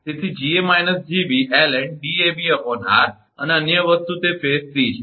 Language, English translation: Gujarati, So, Ga minus Gb ln Dab upon r and, other thing is that phase c